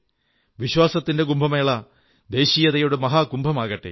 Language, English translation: Malayalam, May this Kumbh of faith also become Mahakumbh of ofnationalism